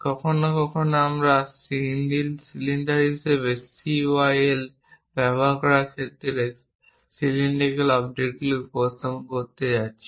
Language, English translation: Bengali, Sometimes, we might be going to represent cylindrical objects in that case we use CYL as cylinders